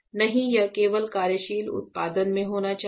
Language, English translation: Hindi, No, it should be in working production only